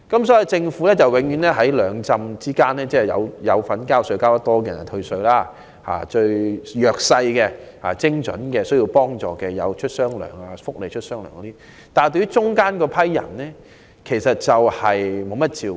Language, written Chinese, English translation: Cantonese, 所以，政府只向繳稅較多的納稅人退稅，向最弱勢及最需要幫助的人發放"雙糧"，但對於介乎上述兩者之間的市民卻沒有給予太多照顧。, Hence by merely offering tax concessions to taxpayers who pay more tax and giving double pay to the most underprivileged and the most needy the Government has failed to provide much care to those who are in between these two social strata